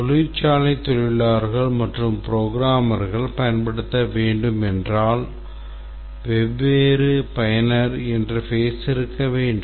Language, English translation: Tamil, If it is software is to be used by factory workers as well and programmers we need to have different user interfaces